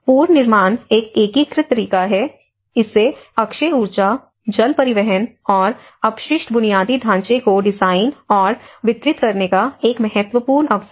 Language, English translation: Hindi, Reconstruction is an important opportunity to design and deliver renewable energy, water transport, and waste infrastructure in an integrated way